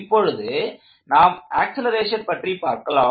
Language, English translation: Tamil, So now let us get the acceleration part going